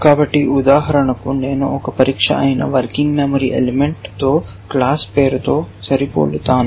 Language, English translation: Telugu, So, for example, I will match the class name with the working memory element that is one tests